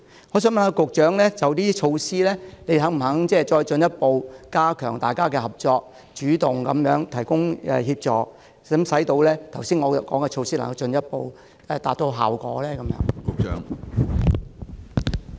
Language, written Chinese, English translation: Cantonese, 我想問局長，就上述的措施，當局是否願意再進一步加強與各方面的合作，主動提供協助，使我剛才提出的措施能夠進一步收效？, May I ask the Secretary in respect of the aforementioned initiatives is the Administration willing to further strengthen its cooperation with various parties and proactively provide assistance so that the initiatives I mentioned just now can be implemented with greater efficacy?